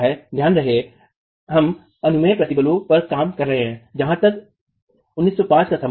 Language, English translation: Hindi, Mind you, we are working on permissible stresses as far as IS 1905 is concerned